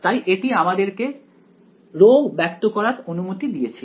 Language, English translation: Bengali, So, that allowed us to express rho